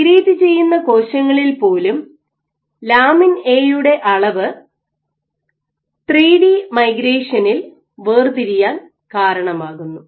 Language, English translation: Malayalam, So, even for the cells which migrate, so you have lamin A levels leads to sorting in 3d migration